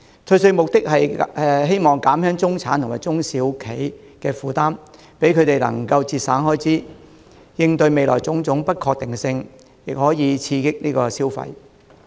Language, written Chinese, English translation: Cantonese, 退稅的目的，是希望減輕中產和中小企的負擔，讓他們能夠節省開支，應對未來的種種不確定性，亦可以刺激消費。, The tax concession aims at easing the burden on the middle class and small and medium enterprises SMEs to enable them to save expenses for future uncertainties and to stimulate their spending